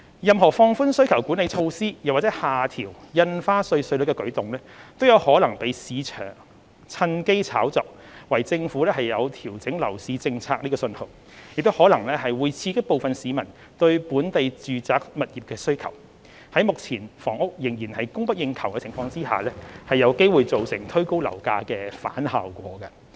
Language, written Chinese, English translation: Cantonese, 任何放寬需求管理措施或下調印花稅稅率的舉動，均可能被市場趁機炒作為政府調整樓市政策的訊號，亦可能會刺激部分市民對本地住宅物業的需求，在目前房屋仍然供不應求的情況下，有機會造成推高樓價的反效果。, Any move to relax demand - side management measures or to lower stamp duty rates may be speculated by the market as a signal for adjustments to the Governments policies on the property market . It may also stimulate demand for local residential properties from some citizens and lead to a counter - productive result of pushing up property prices when the current housing supply still lags behind demand